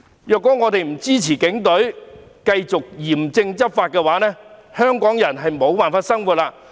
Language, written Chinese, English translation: Cantonese, 如果我們不支持警隊繼續嚴正執法的話，香港人便無法生活。, If we do not support the Police in continuing to take stringent enforcement action Hong Kong people cannot carry on with their lives